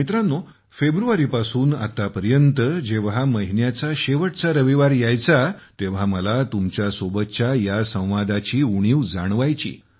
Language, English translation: Marathi, Friends, since February until now, whenever the last Sunday of the month would come, I would miss this dialogue with you a lot